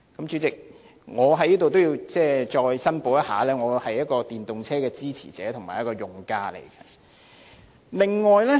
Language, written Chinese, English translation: Cantonese, 主席，我也要在此申報，我是電動車的支持者和用家。, President I also have to declare interest here as I am a supporter and user of electric vehicles